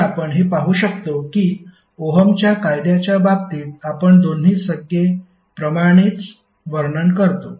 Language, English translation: Marathi, So you can see that both of the terms are similar to what we describe in case of Ohm's Law